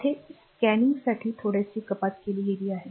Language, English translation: Marathi, Here little bit has been cut for scanning